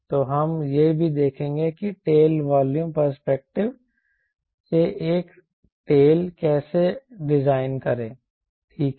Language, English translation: Hindi, so we will also see how to design a tail from tail volume perspective, right